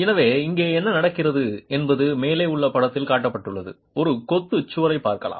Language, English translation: Tamil, So, what is happening here is you can look at a masonry wall that is shown in the figure at the top